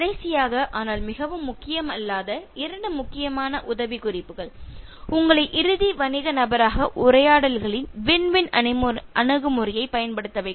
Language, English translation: Tamil, Last, but not the least, two important tips which will make you the ultimate business person use win win approach in conversations